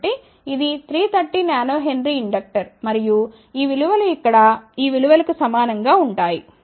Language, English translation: Telugu, So, this is a 330 Nano Henry inductor and these values are same as this value over here